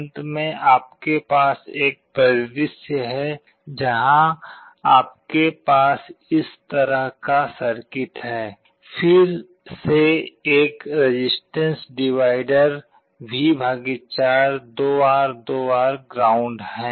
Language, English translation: Hindi, At the end you have a scenario where you have a circuit like this; again a resistance divider V / 4, 2R, 2R to ground